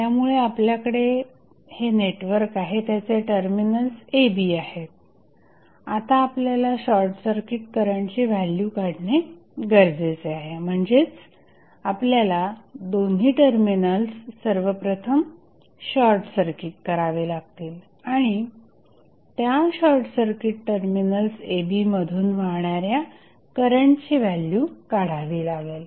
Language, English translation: Marathi, So, you have the network, you have the terminals AB now you need to find out the value of short circuit current that means you have to first short circuit both of the terminals and find out the value of current flowing through short circuited terminal AB